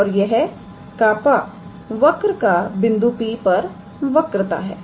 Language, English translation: Hindi, And this kappa is the curvature of the curve at the point P